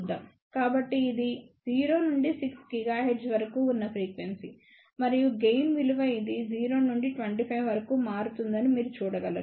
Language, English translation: Telugu, So, this is the frequency from 0 to 6 gigahertz and this is the gain value you can see that it varies from 0 to up to 25